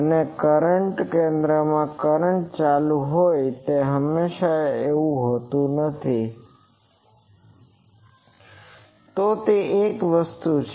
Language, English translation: Gujarati, And so, it is not always that the through center the current is going, so that is one thing